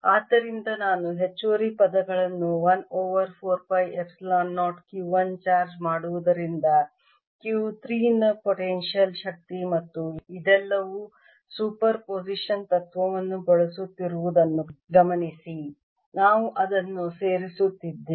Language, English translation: Kannada, so i am going to get additional terms, which are: one over four phi epsilon zero potential energy of q three due to charge q one, and notice that this is all using principal of super position